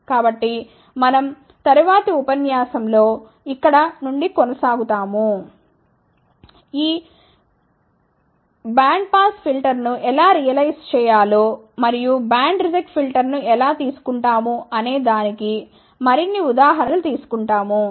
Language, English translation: Telugu, So, we will continue from here in the next lecture, we will take more examples of how to realize these bandpass filters and band reject filter